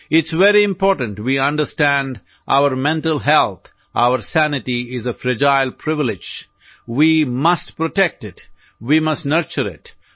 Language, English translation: Gujarati, It's very important we understand our mental health, our sanity is a fragile privilege; we must protect it; we must nurture it